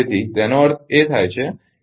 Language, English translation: Gujarati, So; that means,